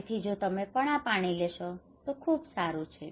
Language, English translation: Gujarati, So if you take this water is very good